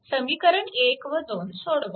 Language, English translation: Marathi, So, equation 1 and 2, you solve